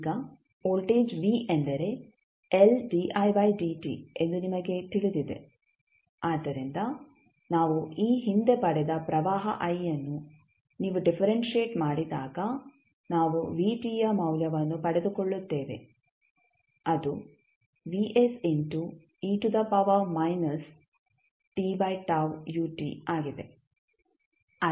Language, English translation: Kannada, Now, you know that voltage v is nothing but l di by dt so when you differentiate the current I which we got previously when we differentiate we get the value of vt which is nothing but vs into e to the power minus t by tau ut